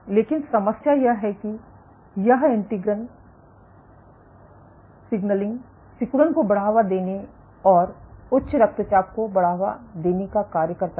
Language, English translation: Hindi, But the problem is this integrin signaling is in turn driving hypertension, promoting contractility and drive hypertension